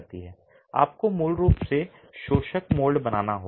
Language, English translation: Hindi, You have to basically create the absorbent mold